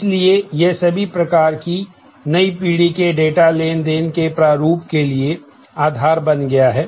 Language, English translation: Hindi, So, has become the basis for all kinds of new generation data interchange format